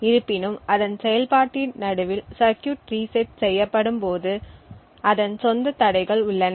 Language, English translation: Tamil, However, resetting the circuit in the middle of its operation has its own hurdles